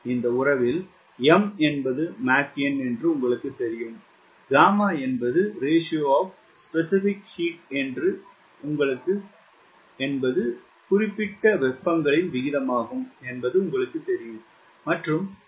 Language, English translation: Tamil, in this relation, you know, m is mach number, gamma is ratio of specific heats and values, typically one point four